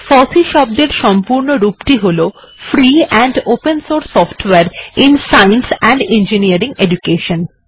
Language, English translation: Bengali, FOSSEE stands for free and open source software in science and engineering education